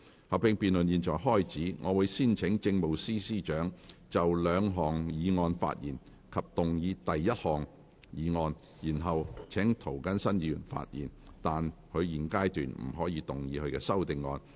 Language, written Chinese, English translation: Cantonese, 合併辯論現在開始，我會先請政務司司長就兩項議案發言及動議第一項議案，然後請涂謹申議員發言，但他在現階段不可動議他的修訂議案。, The joint debate now begins . I will first call upon the Chief Secretary for Administration to speak on the two motions and move the first motion . Then I will call upon Mr James TO to speak but he may not move his amending motion at this stage